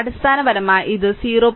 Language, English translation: Malayalam, So, basically it will become 0